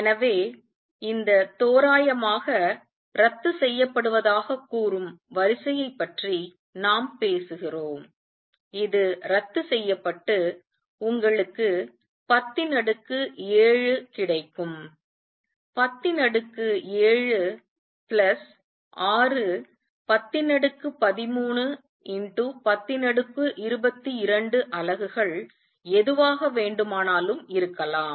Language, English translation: Tamil, So, we are talking about of the order of let say this cancels roughly; this cancels and you get 10 raise to 7; 10 raise to 7 plus 6 10 raise to 13 10 raise to 22 whatever units